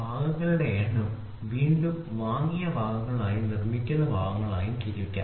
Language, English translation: Malayalam, So, number of parts can be again classified into parts which are bought out and parts which are manufactured